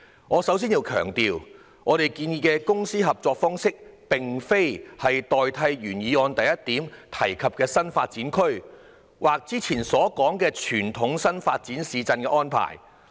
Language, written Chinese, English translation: Cantonese, 我首先要強調，我們建議的公私營合作方式並非要代替原議案第一點提及的"新發展區"，或以往所說的傳統新市鎮發展模式。, Before anything else I need to emphasize that the public - private partnership approach proposed by us does not seek to replace the new development areas mentioned in point 1 in the original motion or the conventional new town approach referred to in the past